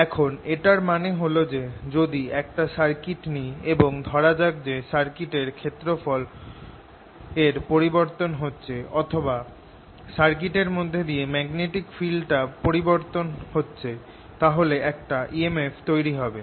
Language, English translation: Bengali, now what is means is that if i take a circuit and let the area of the circuit change or the magnetic field through it change, then there'll be an e m f generated